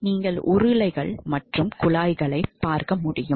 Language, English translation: Tamil, So, you can see that there are rollers here